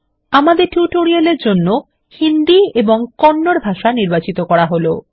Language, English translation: Bengali, For our tutorial Hindi and Kannada should be selected